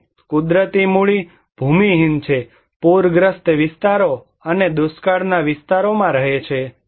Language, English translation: Gujarati, And natural capitals: is landless, live on flood prone areas and drought areas